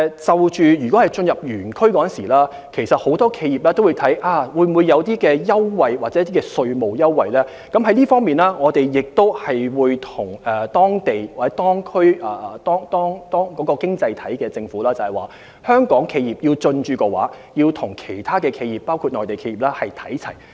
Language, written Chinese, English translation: Cantonese, 就進駐園區方面，很多企業都會視乎有否提供優惠或稅務優惠，我們會就此向有關經濟體的政府反映，有意進駐的香港企業的所得待遇，希望能與其他企業包括內地企業看齊。, For many enterprises their decision to establish a presence in ETCZs will hinge on whether preferential treatments or tax concessions are available . In this connection we will relay to the governments of the economies concerned that Hong Kong enterprises seeking to establish a presence in ETCZs would very much like to enjoy the same treatment as other enterprises including Mainland enterprises